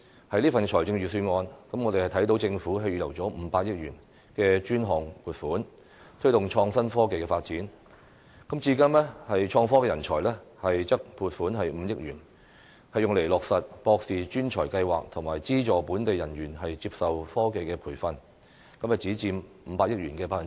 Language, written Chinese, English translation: Cantonese, 在這份預算案中，我們看到政府預留了500億元的專項撥款，推動創新科技發展，至於創科人才則撥款5億元，用以落實"博士專才庫"企劃及資助本地人員接受科技培訓，只佔500億元的 1%。, In the Budget we note that the Government has set aside 50 billion as designated funding to promote the development of innovation and technology . As for innovation and technology talents the Government will earmark 500 million which accounts for only 1 % of the said 50 billion to establish a Postdoctoral Hub programme and subsidize technology training received by staff of local enterprises